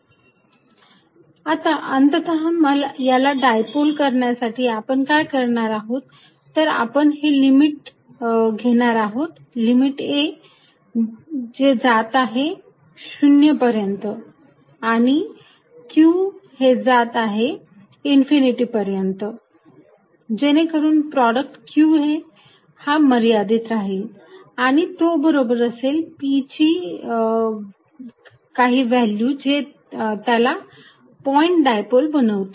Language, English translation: Marathi, To make it a point dipole finally, what we are going to do is take limit ‘a’ going to 0 and q going to infinity, such that product qa remains finite and equal to some p value that makes it a point dipole